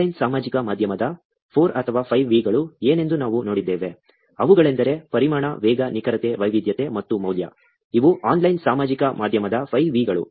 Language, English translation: Kannada, We also saw what 4 or 5 V's of online social media are, they are volume, velocity, veracity, variety and value those are the 5 V's of online social media